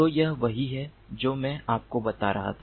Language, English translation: Hindi, so this is what i was telling you